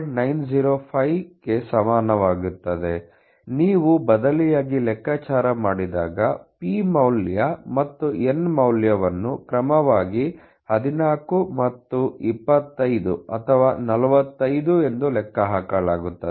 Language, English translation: Kannada, 905, when you calculate substitute the p value and n value as and 25 or 45 respectively